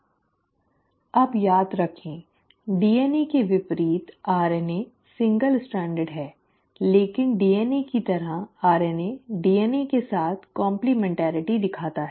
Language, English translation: Hindi, Now remember, unlike DNA, RNA is single stranded but just like DNA, RNA shows complementarity with DNA